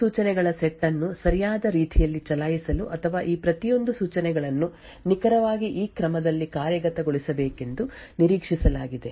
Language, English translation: Kannada, In order to actually run this these set of instructions in a correct manner or what is expected is that each of these instructions execute in precisely this order